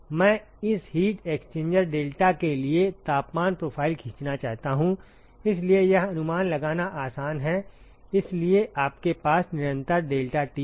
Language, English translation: Hindi, I want to draw the temperature profile for this heat exchanger deltaT is constant, so that is easy to guess, so you will have a constant deltaT